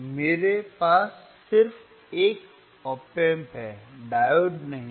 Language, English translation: Hindi, I have just op amp right, diode is not there